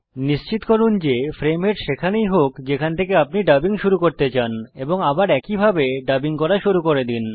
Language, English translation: Bengali, Ensure that the frame head is positioned at the point from where you want to continue and start dubbing once again as you did before